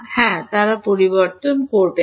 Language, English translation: Bengali, Yeah they will not change